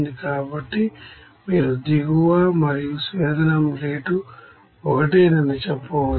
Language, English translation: Telugu, So you can say that bottom and distillate rate are same